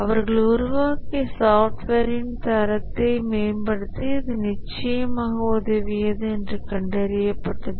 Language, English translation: Tamil, It was found that it helped, definitely helped them to improve the quality of the software they developed